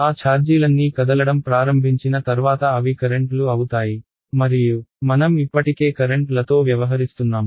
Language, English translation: Telugu, All of those charges once they start moving they become currents and we already dealing with currents